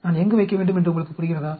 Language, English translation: Tamil, Do you understand where should I place